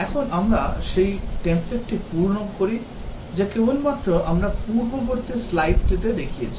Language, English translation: Bengali, Now we fill up that template, just we showed the previous slide